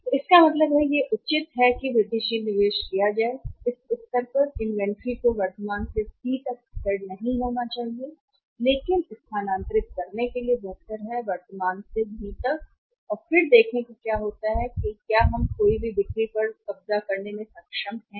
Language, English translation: Hindi, So, it means it advisable it is better that incremental investment in the inventory at this stage should be not stable made from current to C but is better to move from current to B and then see what happens how we are able to capture the lost sales